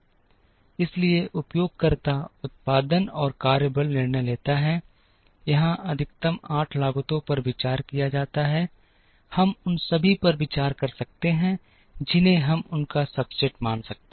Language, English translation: Hindi, So, the user makes production and workforce decisions, a maximum of 8 costs are considered here, we may consider all of them we may consider a sub set of them